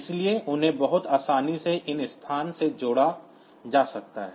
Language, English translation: Hindi, So, they can be very easily put into associated with these locations